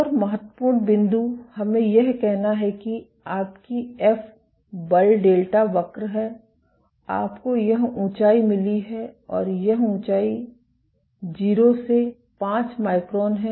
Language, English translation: Hindi, One more important point is let us say your F force is delta curve, you have got this height and this height is from 0 to 5 microns